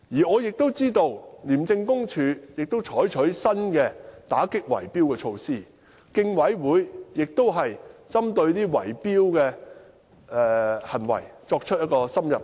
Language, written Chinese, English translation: Cantonese, 我知道廉署也採取了打擊圍標的新措施，競委會亦已針對圍標行為作出深入研究。, I know that ICAC has also adopted new measures to combat bid - rigging and the Commission has conducted an in - depth study on bid - rigging activities